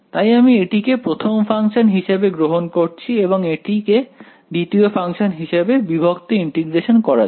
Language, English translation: Bengali, So, I am taking this as the first function and this as the second function in integration by parts